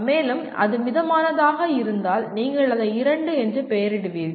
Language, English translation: Tamil, And if it is moderate, you will name it as 2